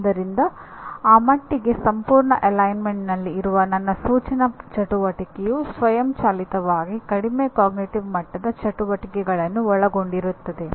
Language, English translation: Kannada, So to that extent my instructional activity which is in complete alignment automatically involves the lower cognitive level activities